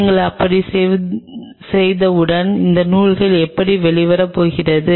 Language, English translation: Tamil, Once you do like that that is how these threads are going to come out